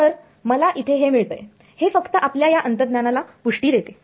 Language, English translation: Marathi, So, that is what I get this is just confirming our intuition